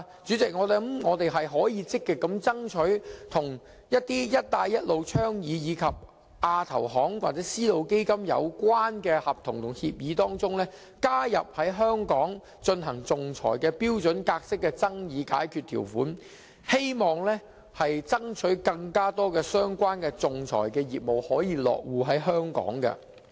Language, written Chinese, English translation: Cantonese, 主席，我們可以積極爭取在一些與"一帶一路"倡議，以及亞洲基礎設施投資銀行或絲路基金有關的合同和協議中，加入在香港進行仲裁的標準格式爭議解決條款，希望爭取更多相關的仲裁業務落戶香港。, President we may actively strive for the addition of standard dispute resolution clauses in the contracts and agreements relating to the One Belt One Road initiative the Asian Infrastructure Investment Bank and also the Silk Road Fund for the conduct of arbitration in Hong Kong in the hope of attracting more arbitration business to Hong Kong